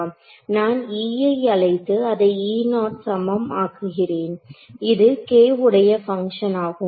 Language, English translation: Tamil, So, I call E is equal to I make this E naught now a function of k